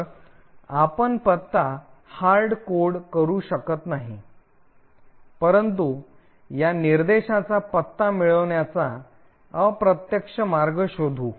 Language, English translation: Marathi, So, therefore we cannot hardcode the address but rather find an indirect way to actually get the address of this instruction